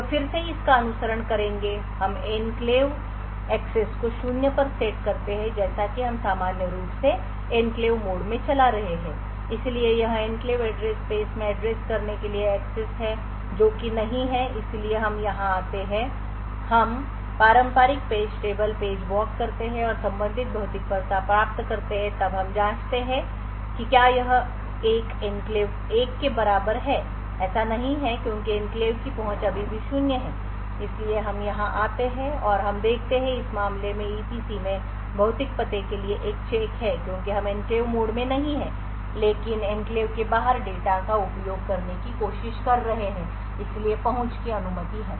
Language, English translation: Hindi, So will follow this again we set the enclave access to zero as usual we are running in enclave mode so this is yes the access to address in enclave address space which is no so we come here we perform the traditional page table walk and obtain the corresponding physical address then we check whether it is an enclave access equal to 1, no so because enclave access is still zero so we come here and we see that there is a check for physical address in EPC in this case is no because we are in the enclave mode but trying to access data which is outside the enclave and therefore the access is permitted